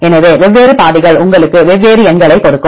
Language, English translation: Tamil, So, different pathways will give you different numbers